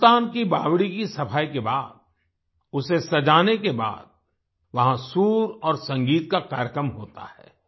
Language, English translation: Hindi, After cleaning the Sultan's stepwell, after decorating it, takes place a program of harmony and music